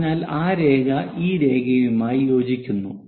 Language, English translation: Malayalam, So, that line coincides with this line